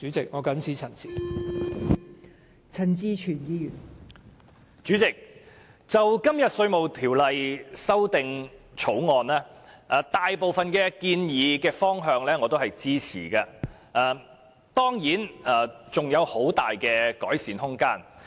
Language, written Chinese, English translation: Cantonese, 代理主席，我對《2018年稅務條例草案》大部分建議的方向都是支持的，但當然尚有很大的改善空間。, Deputy President I support the direction of the majority of the proposals contained in the Inland Revenue Amendment Bill 2018 the Bill but there is certainly plenty of room for improvement